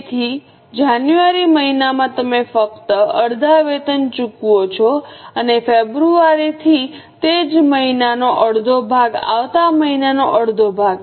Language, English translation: Gujarati, So, in the month of Jan, you only pay half the wages and from February onwards half of the same month, half of the next month